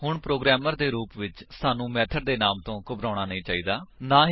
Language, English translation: Punjabi, So, as a programmer we dont have to worry about the method name